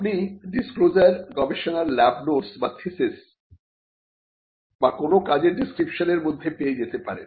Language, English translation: Bengali, You could find disclosures written disclosures like lab notes or thesis or or any kind of written description of work done